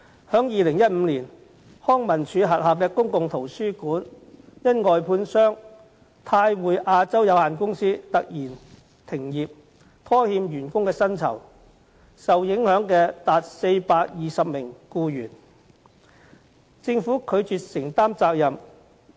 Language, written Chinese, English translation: Cantonese, 在2015年，康樂及文化事務署轄下的公共圖書館因外判商泰匯亞洲有限公司突然停業，拖欠員工薪酬，多達420名僱員受影響，但政府卻拒絕承擔責任。, In 2015 the public libraries under the Leisure and Cultural Services Department defaulted on payment of employees wages due to the sudden closure of its contractor Top Link Asia Limited . As many as 420 employees were affected but the Government refused to take up any responsibility